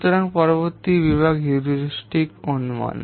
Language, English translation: Bengali, So next category category is heuristic estimation